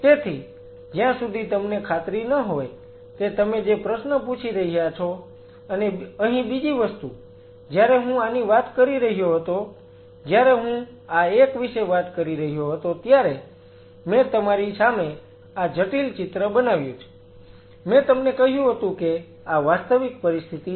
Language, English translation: Gujarati, Unless you are sure the question you are asking and another thing here, when I talk about when I was telling this, this one I made this complex picture in front of you I told you this is this is the real situation